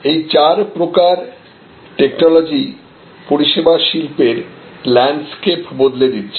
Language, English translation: Bengali, These are four technologies, which are changing the service industries landscape